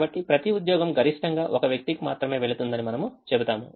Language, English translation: Telugu, so we will say that each job will go to a maximum of one person, because one job will not got anybody